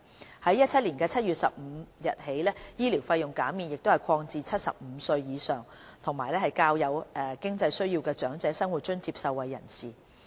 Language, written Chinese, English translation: Cantonese, 自2017年7月15日起，醫療費用減免亦已擴展至75歲或以上及較有經濟需要的長者生活津貼受惠人士。, The medical fee waivers have also been extended to the Old Age Living Allowance recipients aged 75 or above with more financial needs with effect from 15 July 2017